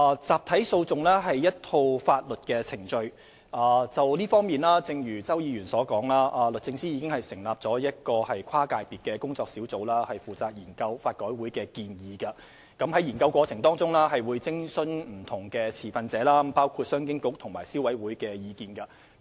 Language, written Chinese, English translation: Cantonese, 集體訴訟是一套法律程序，而正如周議員所說，就這方面而言，律政司已成立一個跨界別的工作小組負責研究法改會的建議，而在研究過程中會考慮不同持份者包括商務及經濟發展局和消委會的意見。, Class actions are a set of legal procedures and as Mr CHOW has said in this respect a cross - sector working group has been established by DoJ to study the proposals of LRC and in this study consideration will be given to the views of various stakeholders including the Commerce and Economic Development Bureau and the Consumer Council